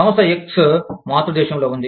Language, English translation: Telugu, Firm X, is in the parent country